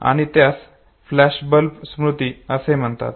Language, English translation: Marathi, And that is called as flashbulb memory